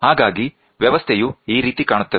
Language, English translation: Kannada, So, this is how the setup looks like